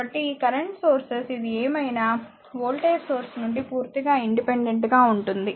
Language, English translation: Telugu, So, this for this current source whatever it is there is completely independent of the voltage across the source right